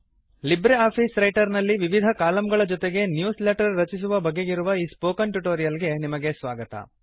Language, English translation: Kannada, Welcome to the Spoken tutorial on LibreOffice Writer Creating Newsletters with Multiple Columns